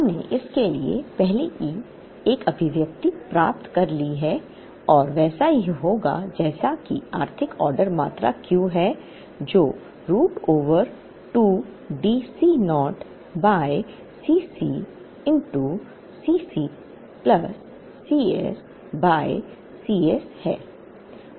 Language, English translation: Hindi, We have, already derived an expression for this and that would be like, the economic order quantity Q there is given by root over 2 D C naught by C c into C c plus C s by C s